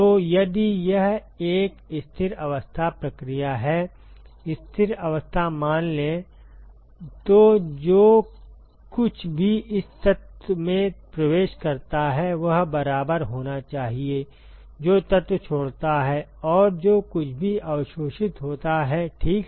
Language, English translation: Hindi, So, if it is a steady state process then whatever enters this element here should be equal to, what leaves the element plus whatever is absorbed ok